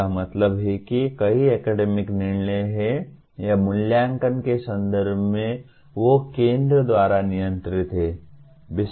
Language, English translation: Hindi, That means there are many academic decisions or in terms of assessment they are centrally controlled